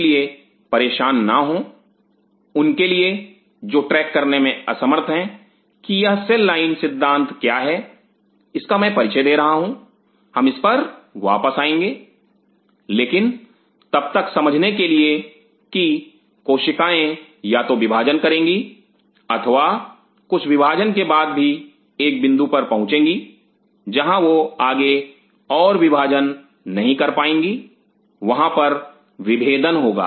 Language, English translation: Hindi, So, do not worry for those who are unable to track what is this cell line concept I am introducing we will come back to this, but for the time being understand that the cell either will divide an or some after division they will reach a point where they would not divide any further there will be differentiated